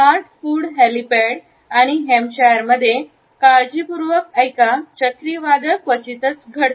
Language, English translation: Marathi, In heart food helipad and Hampshire hurricanes hardly ever happen